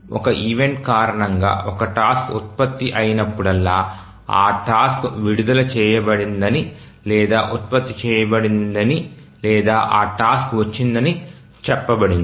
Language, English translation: Telugu, So whenever a task gets generated due to an event, we say that the task is released or is generated or we even say that task has arrived